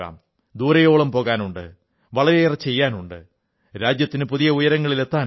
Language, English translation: Malayalam, We have to walk far, we have to achieve a lot, we have to take our country to new heights